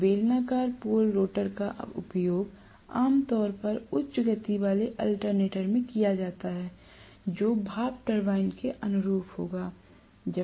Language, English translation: Hindi, So, cylindrical pole rotor is normally used in high speed alternator which is corresponding to steam turbine, right